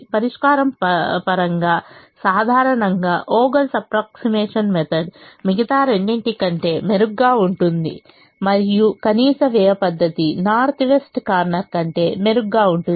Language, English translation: Telugu, in terms of solution, generally, vogel's approximation does better than the other two and minimum cost does better than the north west corner